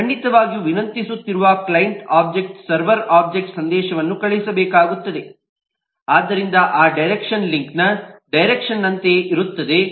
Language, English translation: Kannada, certainly the client object who is requesting has to send a message to the server object, so that direction is same as the direction of the link